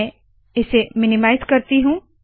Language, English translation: Hindi, I will minimize this